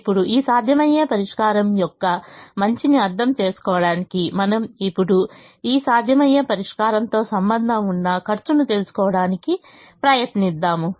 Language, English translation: Telugu, now, to understand the goodness of this feasible solution, we now try to find out the cost associated with this feasible solution